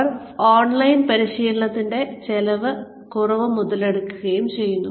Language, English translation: Malayalam, They are capitalizing on, reduced costs of online training